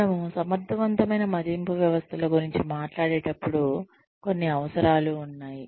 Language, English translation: Telugu, When we talk about, effective appraisal systems, there are some requirements